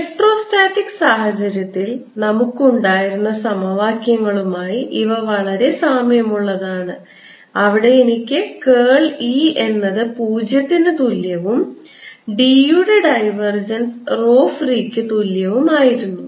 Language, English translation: Malayalam, both, again, these are very similar to the equations we had for electrostatic situation, where i had curl of e, zero and divergence of d equals rho free